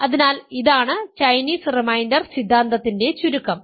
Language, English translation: Malayalam, So, this is the Chinese reminder theorem